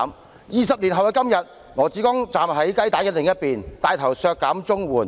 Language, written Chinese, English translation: Cantonese, 可是，在20年後的今天，羅致光站在雞蛋的另一邊，牽頭削減綜援。, Twenty years down the line however LAW Chi - kong today stands on the side opposite to the egg taking the lead to cut the CSSA rate